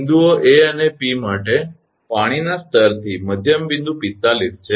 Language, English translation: Gujarati, For points A and P the midpoint from the water level is 45